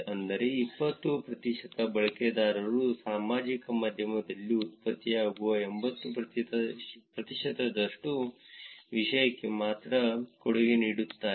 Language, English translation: Kannada, which is to say that 20 percent of the users only actually contribute to the 80 percent of the content that is generated on the social media